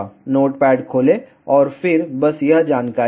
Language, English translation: Hindi, Just open the notepad and then just give this information